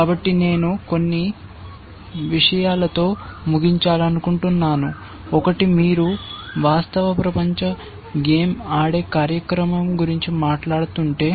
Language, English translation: Telugu, So, I want to end with a couple of things, one is that if you are talking about a real world game playing program